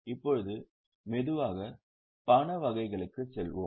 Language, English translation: Tamil, Now, let us go to the types of cash flow